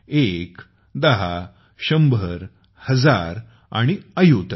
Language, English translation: Marathi, One, ten, hundred, thousand and ayut